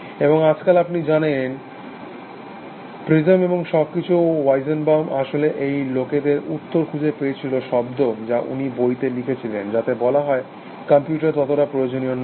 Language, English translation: Bengali, And nowadays of course, you know prism, and everything, Weizenbaum actually found that peoples responses, words are disturbing that he wrote a book, which says that no, no computers cannot do all this kind of thing essentially